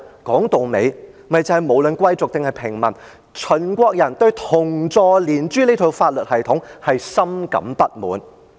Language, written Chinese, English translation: Cantonese, 說到底，便是無論貴族或平民，秦國人對連坐、株連這套法律系統是深感不滿的。, In the final analysis regardless of the people from noble families or the commoners the Qin people were extremely dissatisfied with collateral punishments